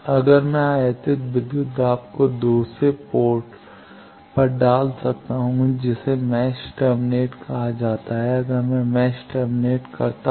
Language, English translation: Hindi, How I can put the incident voltage at other ports put off that is called match terminate, if I match terminate a port